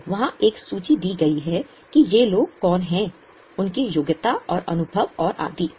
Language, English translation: Hindi, So, there is a list given out there that who are these people, what is their qualifications and experience and so on